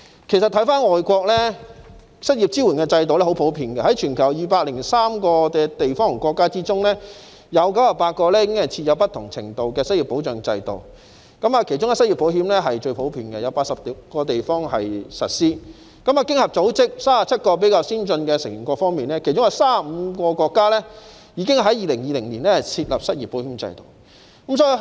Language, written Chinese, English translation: Cantonese, 其實在外國，失業支援制度相當普遍，在全球203個地方和國家中，有98個已經設有不同程度的失業保障制度，其中失業保險最為普遍，有80個地方實施；在經濟合作與發展組織37個比較先進的成員國中，有35個國家已於2020年設立失業保險制度。, As a matter of fact unemployment support systems are quite common in foreign countries . Out of the 203 places and countries in the world 98 have already set up a system providing unemployment protection of varying degrees among which unemployment insurance is the most common being implemented in 80 places . Among the 37 more advanced member countries of the Organisation for Economic Co - operation and Development 35 have already set up an unemployment insurance system by 2020